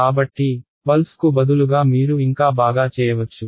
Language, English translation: Telugu, So, instead of a pulse you can also do better you can do